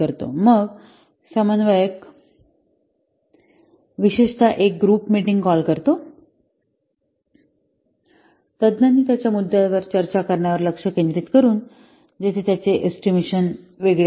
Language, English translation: Marathi, Then the coordinator calls a group meeting, especially focusing on having the experts, discuss points where their estimates varied widely